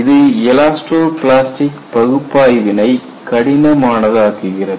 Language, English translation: Tamil, This makes elasto plastic analysis difficult